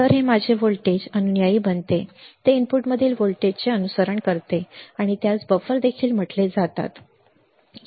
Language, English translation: Marathi, So, this becomes my voltage follower it follows the voltage at the input or it is also called buffer right it is also called buffer